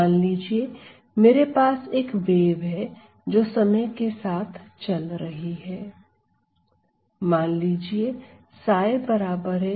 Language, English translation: Hindi, Let us say I have a wave which is moving with time